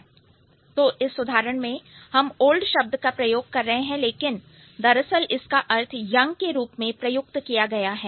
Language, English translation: Hindi, So, in this case, though we are using the term old, but it is actually used in the young sense